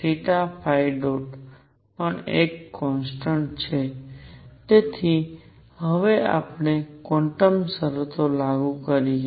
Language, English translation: Gujarati, So now let us apply quantum conditions